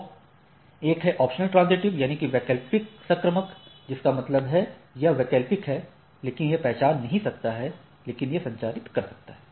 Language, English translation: Hindi, So, it is one is optional transitive, that means, it is optional, but it may not recognize, but it can transmit